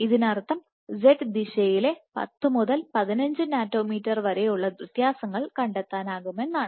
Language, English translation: Malayalam, So, which means that it can detect 10 to 15 nanometers in z differences in z direction